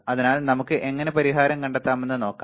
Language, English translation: Malayalam, So, let us see how we can find the solution